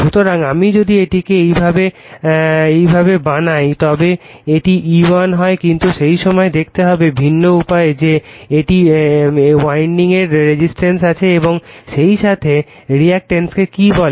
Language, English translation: Bengali, So, if I make it like this it is E1 right, but at that time you have to see you know different way that this is the winding also has your resistance as well as that your what you call reactance right